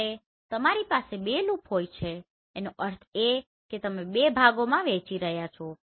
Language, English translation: Gujarati, When you are having 2 loop that means you are dividing into 2 parts